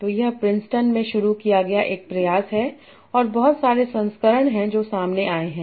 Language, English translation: Hindi, So it's an effort started at Princeton and there are a lot of versions that have come up